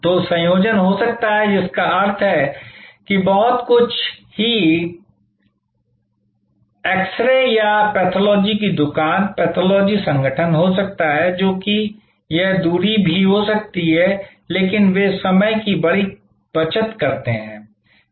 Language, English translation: Hindi, So, there can be a combination that mean some there can be a very exclusive x ray or a pathology shop, pathology organization, which may be even it a distance, but they save time big